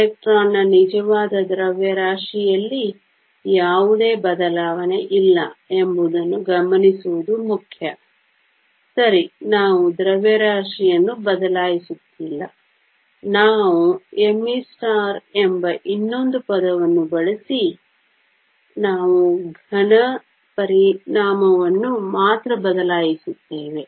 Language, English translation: Kannada, It is important to note that there is no change in the actual mass of the electron; right we are not changing the mass, we only replacing the effect of the solid by using another term called m e star